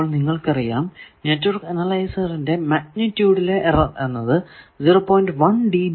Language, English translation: Malayalam, Now, you see the network analyzer magnitude error is typically less than 0